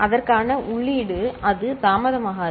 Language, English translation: Tamil, And the input to it, it is not delayed